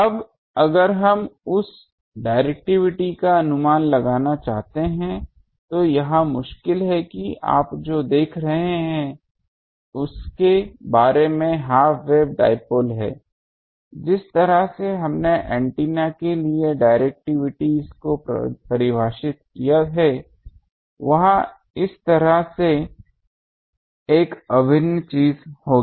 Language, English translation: Hindi, Now if we want to estimate the directivity it is difficult for half wave dipole you see that the actually, the way we defined directivities for antennas they are will have to have an integral something like this